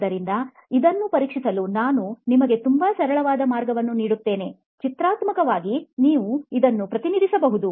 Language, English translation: Kannada, So I’ll give you a very very simple way to test this, also graphically you can represent this